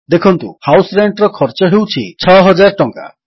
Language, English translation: Odia, Note, that the cost of House Rent is rupees 6,000